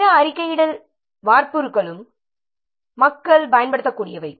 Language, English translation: Tamil, So, other reporting templates are also possible people are using